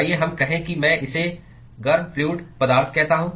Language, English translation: Hindi, Let us say I call this as the hot fluid